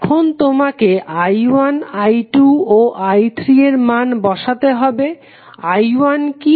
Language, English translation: Bengali, Now, you have to put the value of I 1, I 2 and I 3, what is I 1